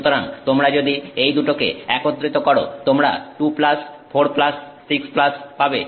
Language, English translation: Bengali, So, if you take this into account, this is 6 minus